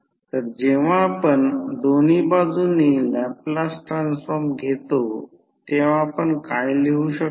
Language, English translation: Marathi, So, when you take the Laplace transform on both sides, what you can write